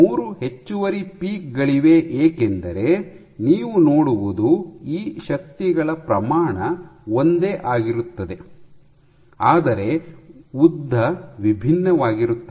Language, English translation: Kannada, So, 3 peaks, because what you see is the magnitude of these forces are the same, but these lengths are different